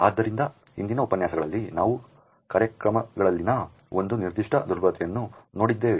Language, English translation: Kannada, So, in the previous lectures we had actually looked at one particular vulnerability in programs